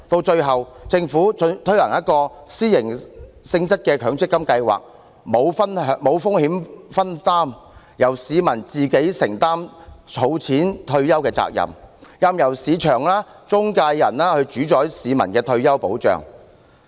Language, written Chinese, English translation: Cantonese, 最後，政府推行了一個私營性質的強積金計劃，沒有風險分擔，由市民自行承擔儲蓄退休的責任，任由市場和中介人主宰市民的退休保障。, In the end the Government introduced an MPF System operated by the private sector . There is no risk sharing and the public have to assume the responsibility of saving up for retirement on their own and allow the market and intermediaries to dictate the retirement protection of the public